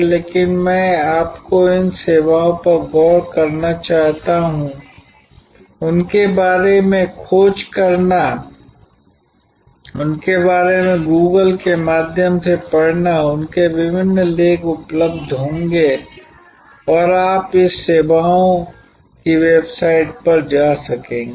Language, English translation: Hindi, But, what I would like you to do is to look into these services, search out about them, read about them through Google, through their various articles will be available and you will be able to go to the website of this services